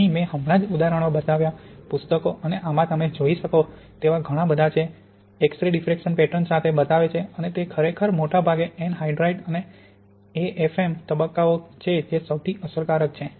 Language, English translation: Gujarati, And here I just showed examples, there are many more you can look at in the book and this shows with the X ray diffraction pattern and it is really mostly the ettringite and the AFm phases that are most effective